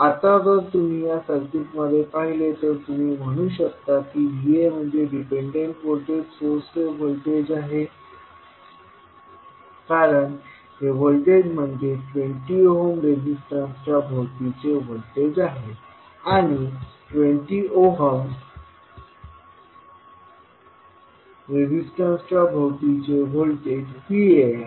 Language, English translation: Marathi, Now, if you see this particular circuit you can say that V a is nothing but equal to voltage the of dependent voltage source because this is the voltage which is applied across the 20 ohms resistance and the voltage which is applied across 20 ohms resistance is nothing but V a